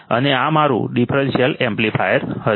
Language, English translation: Gujarati, And this will be my differential amplifier